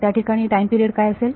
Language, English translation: Marathi, So, what is the time period there